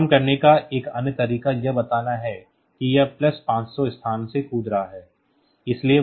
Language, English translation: Hindi, Another way of doing the same thing is to tell that it is jump by plus 500 locations